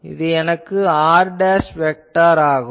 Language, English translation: Tamil, This will be my r dashed vector